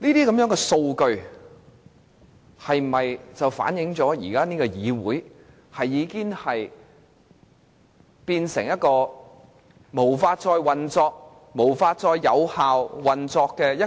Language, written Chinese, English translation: Cantonese, 這些數據能否反映出現時的議會已無法運作、無法有效運作呢？, Do these figures reflect the inability of the legislature to function or to function effectively?